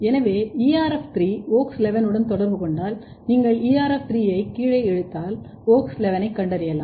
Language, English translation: Tamil, So, if ERF3 and WOX11 are interacting then if you pull down ERF3 WOX11 you can detect WOX11